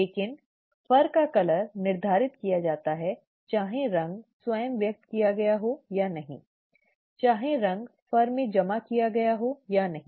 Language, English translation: Hindi, But, the colour of fur is determined whether the colour itself is expressed or not, okay, whether the colour will be deposited in the fur or not